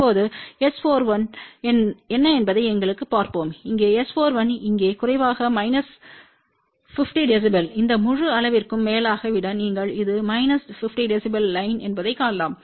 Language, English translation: Tamil, Now, let us see what is S 4 1 here S 4 1 here is less than minus 50 db over this entire range you can see that this is the minus 50 db line